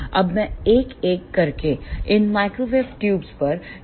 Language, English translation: Hindi, Now, I will discuss these microwave tubes one by one